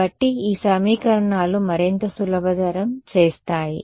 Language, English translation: Telugu, So, what so, these equations they give further simplify